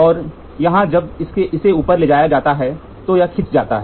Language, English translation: Hindi, And here when this is moved this is when this is moved up this is pulled